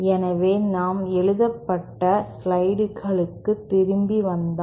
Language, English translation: Tamil, So, if we could come back to our written slides